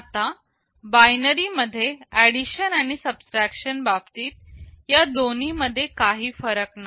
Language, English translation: Marathi, Now, with respect to addition and subtraction in binary these two make no difference